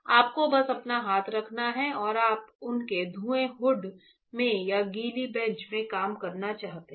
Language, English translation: Hindi, You just you have to put your hand and you want to work in their fume hood or in the wet bench